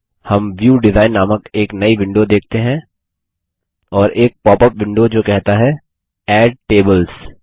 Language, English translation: Hindi, We see a new window called the View Design and a popup window that says Add tables